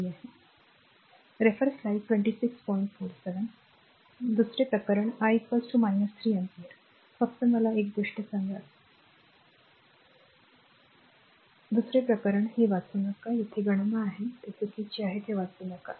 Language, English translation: Marathi, Second case I is equal to minus 3 ampere, just tell me one thing this one second case this one please do not read I am I am striking it off right, second case your this one the second case this do not read here it is that calculation here, it is wrong this do not read